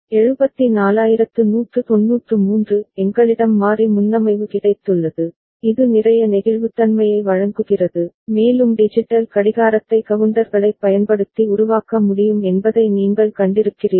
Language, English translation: Tamil, 74193 we have got variable preset which offers a lot of flexibility and also you have seen that a digital clock can be made using counters when we can have a mechanism to initialize it